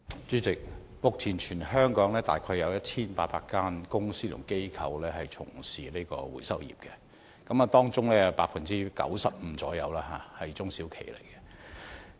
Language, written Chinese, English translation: Cantonese, 主席，目前全港約有1800間公司和機構從事回收業，當中約有 95% 是中小企。, President about 1 800 companies or organizations are engaging in recycling business in Hong Kong 95 % of which are small and medium enterprises SMEs